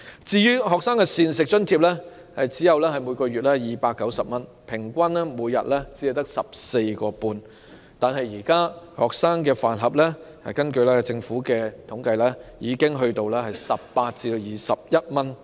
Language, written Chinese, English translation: Cantonese, 至於學生的每月膳食津貼只有290元，平均每天只有 14.5 元，但根據政府的統計，現時每個學生飯盒已經索價18元至21元。, Besides a monthly meal allowance of only 290 is provided for students which equals to merely 14.5 per day on average . Yet according to the statistics of the Government a lunch box for students costs 18 to 21